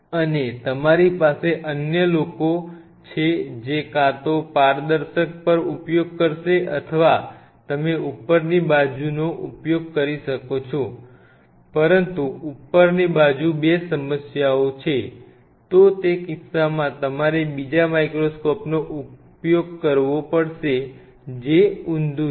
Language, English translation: Gujarati, And you have the other people who will be using on a transparent either you can use the upright one, but the problem there are issues with upright one 2, then in that case you have to another microscope which is inverted